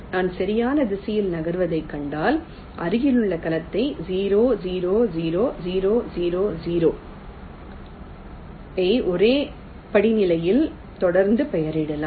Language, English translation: Tamil, so if i see i moving in the right direction, i can continually label the adjacent cell: zero, zero, zero, zero, zero, zero in ah in a single step itself